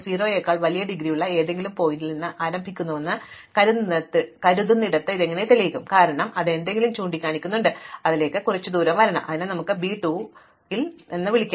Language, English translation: Malayalam, Now supposing we start with any vertex v such that it has indegree greater than 0, since it has something pointing into it, then it must have some edge coming into it, so let us call that v 2